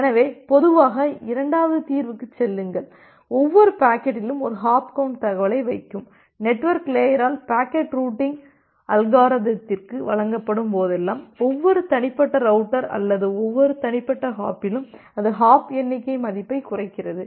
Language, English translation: Tamil, So normally go to the second solution that we put a hop count information at every individual packet and whenever the packet is being delivered by the network layer to the routing algorithm, at every individual router or a at every individual hop, it decrements that hop count value